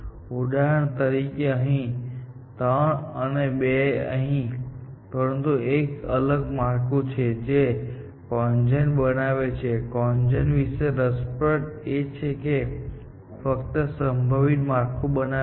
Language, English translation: Gujarati, So, 3 here, for example, and 2 here, in that, but these are different structures that CONGEN generates and what was interesting about CONGEN was, it generated only feasible structures